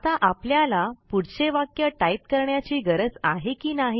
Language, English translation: Marathi, Now, we need to type the next sentence, should we not